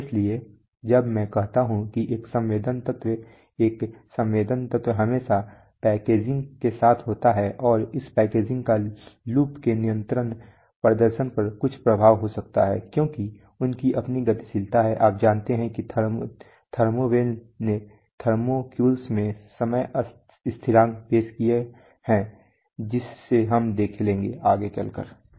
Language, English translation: Hindi, So when I say a sensing element a sensing element could comes along with its always packaging and this packaging can have some effect on the control performance of the loops, because they have their own dynamics, you know thermo wells have introduced time constants into thermocouples as we will see